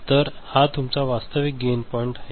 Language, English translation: Marathi, So, this is your actual gain point